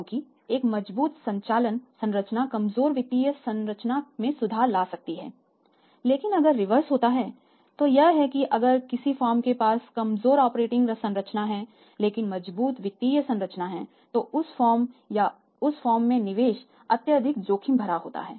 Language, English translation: Hindi, Because a strong operating structure because a strong operating structure will improve the weak financial structure but if reverse happens that a firm has a weak operating structure but strong financial structure then that firm or the investment in that firm is highly risky